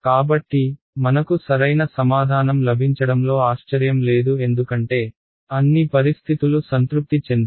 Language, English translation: Telugu, So, this is no surprise I got the correct answer because, all the conditions are satisfied